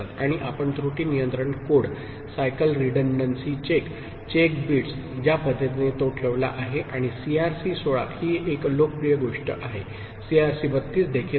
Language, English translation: Marathi, And you have already seen its use in error control code, the cycle redundancy check, the check bits – the way it has been placed and CRC 16 is one popular such thing, CRC 32 is also there